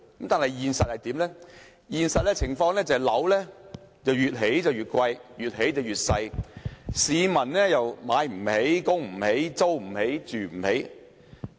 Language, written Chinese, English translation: Cantonese, 但是，現實情況是房屋越來越貴，也越來越細，市民買不起、供不起、租不起、住不起。, However the reality is that property prices continue to rise but the size of flats continues to shrink . People cannot afford to buy rent or live in these flats